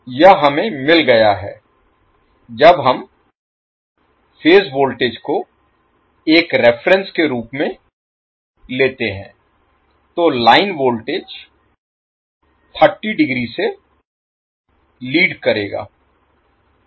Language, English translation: Hindi, This is we have got when we take the reference as a phase voltage, so your line voltage will be leading by 30 degree